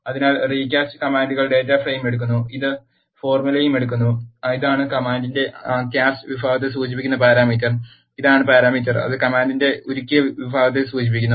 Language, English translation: Malayalam, So, recast command takes the data frame and it also takes the formula, this is the parameter that refers to the cast section of the command and this is the parameter, that refers to the melt section of the command